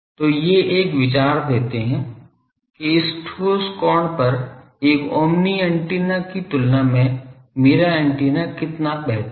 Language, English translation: Hindi, So, these gives an an idea that at this solid angle how much better my antenna is compared to an omni